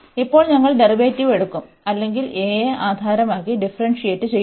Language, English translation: Malayalam, And now we will take the derivative or we will differentiate this with respect to a